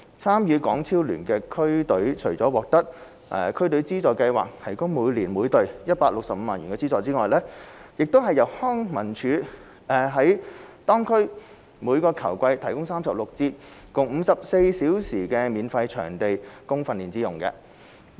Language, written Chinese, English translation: Cantonese, 參與港超聯的區隊除了獲得區隊資助計劃提供每年每隊165萬元資助外，亦由康樂及文化事務署在當區每球季提供36節共54小時免費場地供訓練之用。, In addition to an annual funding of 1.65 million per team under DFFS district teams playing in HKPL are provided with 36 sessions of free venues for training in their respective districts by the Leisure and Cultural Services Department in each football season